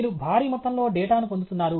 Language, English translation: Telugu, You are getting huge amount of data